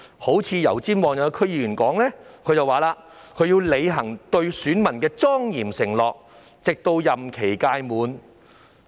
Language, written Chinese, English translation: Cantonese, 一名油尖旺區議員表示，他要履行對選民的莊嚴承諾，直至任期屆滿。, A member of the Yau Tsim Mong DC said that he would honour the solemn promises made to his constituents until the expiry of his term of office